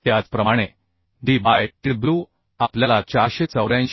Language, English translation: Marathi, 4 Similarly d by tw we are getting 484 by 9